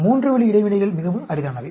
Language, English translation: Tamil, 3 way interactions are very rare